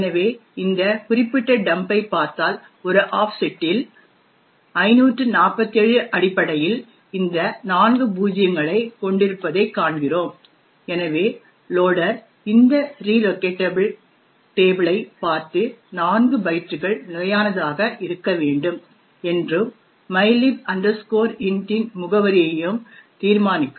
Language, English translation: Tamil, So, if you look at this particular dump we see that at an offset 547 is essentially these four zeros and therefore the loader will look into this relocation table and determine that 4 bytes have to be fixed and the address is that of mylib int